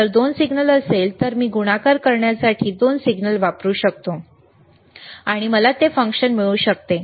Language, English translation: Marathi, ifIf there are 2 signals, I can use 2 signals to multiply, and I can get that function